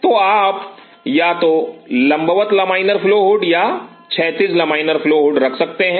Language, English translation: Hindi, So, you could have either vertical laminar flow or horizontal laminar flow hood